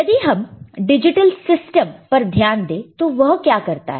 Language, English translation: Hindi, Now, if you look at digital systems